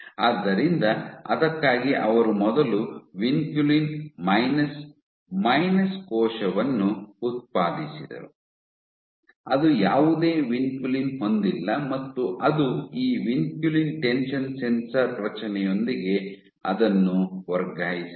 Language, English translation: Kannada, So, for that they first generated a vinculin minus minus cell which has does not have any vinculin of it is own and then they transfected it with this vinculin tension sensor is the construct